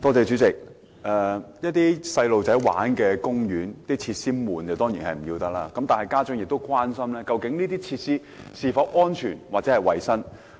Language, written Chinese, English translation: Cantonese, 主席，兒童遊樂場的設施沉悶，當然要不得。然而，家長亦關心有關設施是否安全或合乎衞生。, President the monotonous play facilities installed in childrens playgrounds are undesirable of course but parents are concerned if the facilities concerned are safe or if they are wholesome